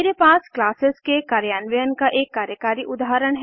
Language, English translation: Hindi, I have a working example of class methods code